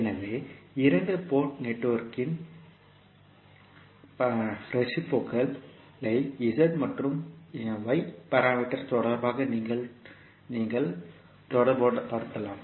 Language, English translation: Tamil, So, you can correlate the reciprocity of the two port network with respect to Z as well as y parameters